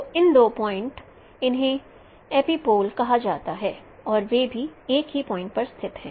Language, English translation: Hindi, Now those two points, those two lines, they are called epipolar lines